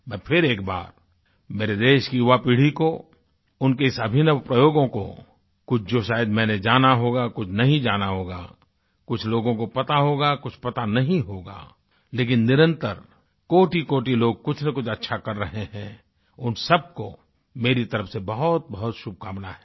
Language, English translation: Hindi, I once again felicitate the youth of my country for their innovative experiments, some of which I might have got to know, some might have escaped me, some people might or may not be aware of but nonetheless I wish countless people involved in doing beneficial work ,very good luck from my side